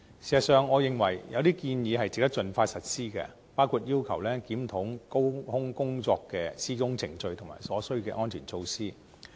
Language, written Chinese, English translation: Cantonese, 事實上，我認為有些建議值得盡快實施，包括要求檢討高空工作的施工程序和所需的安全措施。, As a matter of fact I consider some recommendations worthy of expeditious implementation such as reviewing the work procedures and necessary safety measures for work - at - height